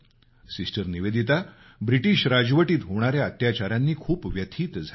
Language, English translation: Marathi, Sister Nivedita felt very hurt by the atrocities of the British rule